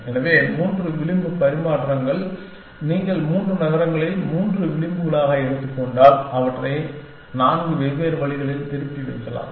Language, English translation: Tamil, So, three edge exchange if you take of three cities three edges, you can put them back in four different ways